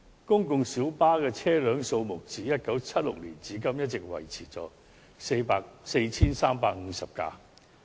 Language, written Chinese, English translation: Cantonese, 公共小巴的車輛數目自1976年至今一直維持在 4,350 輛。, The total number of public light buses PLBs has all along been maintained at 4 350 since 1976